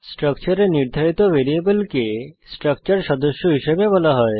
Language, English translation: Bengali, Variables defined under the structure are called as members of the structure